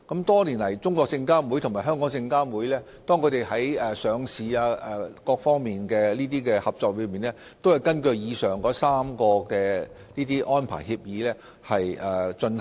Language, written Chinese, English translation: Cantonese, 多年來，中證監與證監會在上市等各方面的合作，均根據以上3份合作安排協議進行。, Over all these years cooperation between CSRC and SFC in various aspects such as listing has been based on the three agreements on cooperation arrangements mentioned above